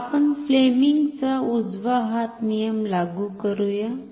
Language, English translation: Marathi, So, let us apply Fleming’s right hand rule